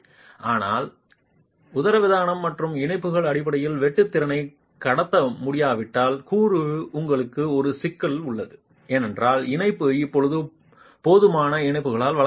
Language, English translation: Tamil, But if the diaphragm and the connections are unable to transmit the bas shear capacity that the component was able to take, you have a problem because the connectivity is now not provided by adequate connections